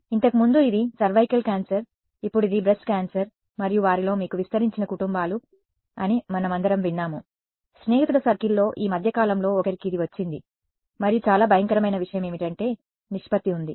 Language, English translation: Telugu, Earlier it used to be cervical cancer, now it is breast cancer and we have all heard amongst are you know extended families, in friends circle some one of the other has got it in recent times and what is very alarming is that there is a ratio called mortality to incidents